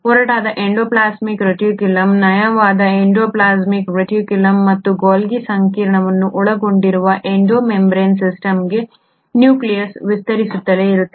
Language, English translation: Kannada, The nucleus keeps on extending into Endo membrane system which consists of rough endoplasmic reticulum, the smooth endoplasmic reticulum and the Golgi complex